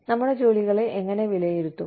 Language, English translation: Malayalam, How do we evaluate our jobs